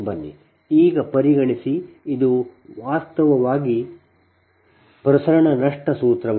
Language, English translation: Kannada, so consider, now this is actually transmission loss formula, right